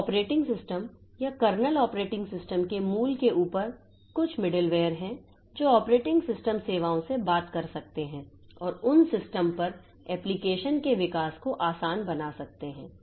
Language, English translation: Hindi, So, on top of the basic operating system or the kernel operating system, there are some middleware that can talk to the operating system services and make the development of application on those systems easy